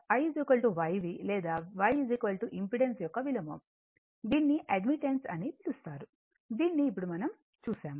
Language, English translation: Telugu, Or I is equal to YV or Y is equal to reciprocal of impedance that is called admittance just now we have seen right